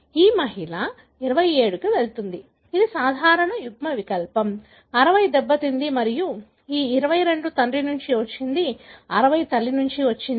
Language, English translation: Telugu, This lady carry 27, which is a normal allele, 60 which is affected and this 22 has come from father, the 60 had come from mother